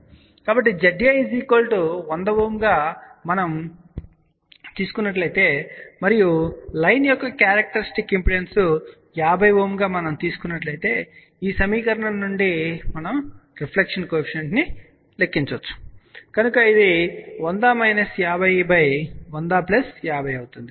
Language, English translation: Telugu, So, if Z A is equal to let us say 100 Ohm and if we say that the characteristic impedance of the line is 50 Ohm, then from this equation we can calculate the reflection coefficient , so which will be 100 minus 50 divided by 100 plus 50